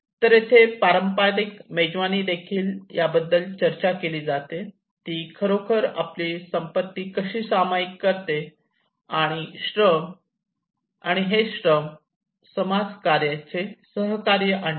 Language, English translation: Marathi, So here even the traditional feast it is talking about how it actually one is sharing his wealth, and that is how brings the labour and the communityís cooperation